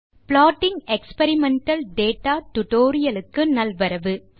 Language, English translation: Tamil, Hello Friends and Welcome to this tutorial on Plotting Experimental data